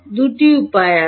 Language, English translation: Bengali, There are two ways